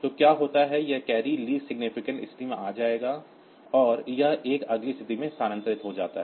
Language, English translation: Hindi, So, what happens is that this carry comes to the least significant position and this one get shifted to the next position